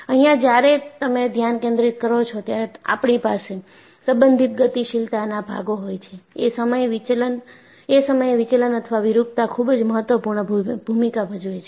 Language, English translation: Gujarati, So, the focus here is, when I have relative moving parts, the deflection or deformation plays a very important role